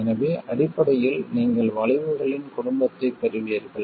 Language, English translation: Tamil, So basically you got a family of curves